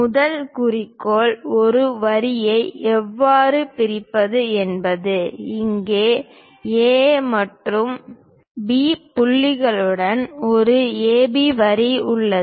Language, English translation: Tamil, The first objective is how to bisect a line; here there is an AB line with points A and B